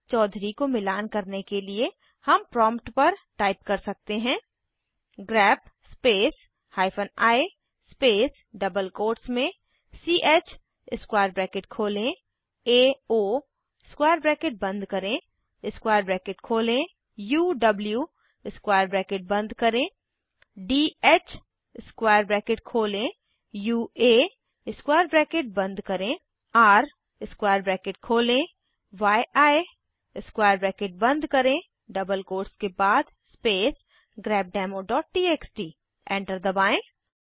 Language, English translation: Hindi, To match chaudhury we may type at the prompt grep space hyphen i space within double quotes ch opening square bracket ao closing square bracket opening square bracket uw closing square bracket dh opening square bracket ua closing square bracket r opening square bracket yi closing square bracket after the double quotes space grepdemo.txt Press Enter